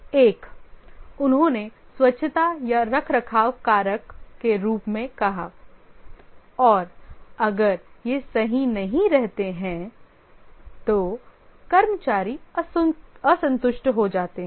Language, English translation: Hindi, One he called as the hygiene or the maintenance factor and if these are not right, the employees become dissatisfied